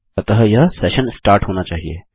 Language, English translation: Hindi, So, it must be session start